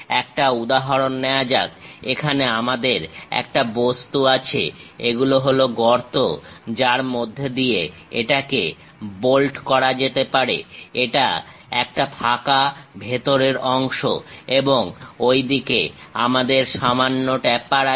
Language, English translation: Bengali, Let us take an example, here we have an object; these are the holes through which it can be bolted and this is a hollow portion inside and we have a slight taper on that side